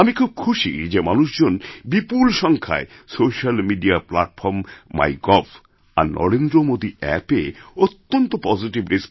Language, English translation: Bengali, I am very glad that a large number of people gave positive responses on social media platform, MyGov and the Narendra Modi App and shared their experiences